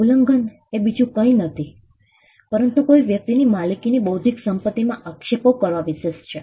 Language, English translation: Gujarati, Infringement is nothing but trespass into the intellectual property owned by a person